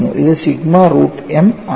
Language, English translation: Malayalam, It is sigma root pi a